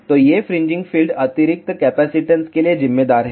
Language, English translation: Hindi, So, these fringing fields account for additional capacitance